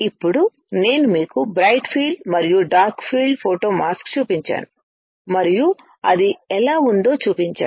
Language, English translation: Telugu, Now, I have shown you bright field and dark field photo mask and how it looks